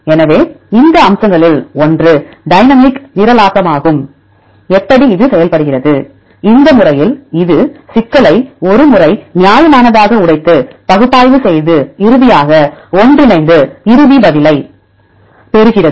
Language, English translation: Tamil, So, one of this aspect is the dynamic programming; how it works; in this method, it breaks the problem into a reasonably smaller once and do the analysis and finally, combine together to get the final answer